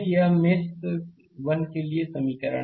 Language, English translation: Hindi, This is a first equation for mesh 1